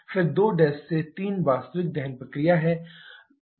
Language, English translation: Hindi, Then 2 prime to 3 is the actual combustion process